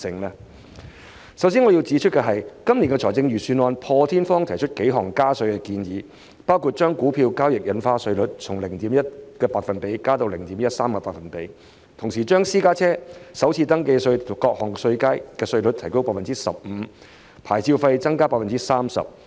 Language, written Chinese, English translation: Cantonese, 我首先要指出，本年度財政預算案破天荒提出幾項加稅建議，包括將股票交易印花稅稅率從 0.1% 調高至 0.13%， 同時將私家車首次登記稅各稅階的稅率提高 15%， 以及牌照費提高 30%。, First of all I have to point out that this years Budget has unprecedentedly proposed several tax increases including raising the stamp duty on stock transfers from 0.1 % to 0.13 % increasing the rate of each tax band for the first registration tax rates for private cars by 15 % and increasing licence fees by 30 %